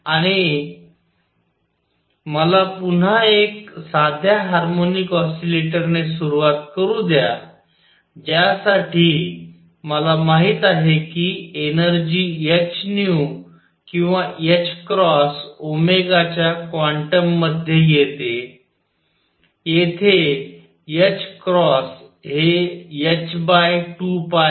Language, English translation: Marathi, And let me start again with a simple harmonic oscillator for which I know that the energy comes in quantum of h nu or h cross omega, where h cross is h upon 2 pi